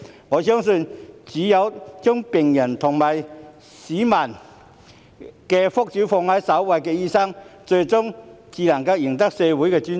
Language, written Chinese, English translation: Cantonese, 我相信，只有將病人及市民的福祉放在首位的醫生，最終才會贏得社會的尊重。, I believe that only doctors who put the well - being of patients and people first will ultimately win societys respect